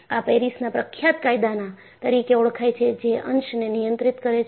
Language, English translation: Gujarati, And, this is known as a famous Paris law, which controls the segment